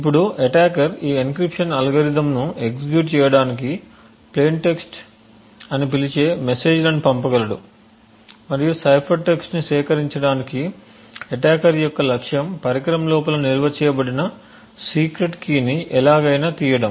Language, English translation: Telugu, Now the attacker is able to send messages which we now call as plain text trigger this encryption algorithm to execute and also collect the cipher text the objective of the attacker is to somehow extract the secret key which is stored inside the device